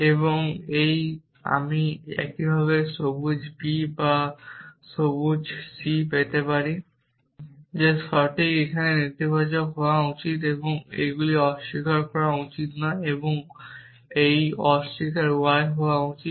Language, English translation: Bengali, And this I can get similarly green b or not green c is that correct this should be negation here right and these should not be negation and this should be negation y